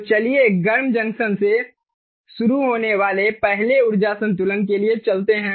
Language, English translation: Hindi, so lets go for the energy balance, the first, starting with the hot junction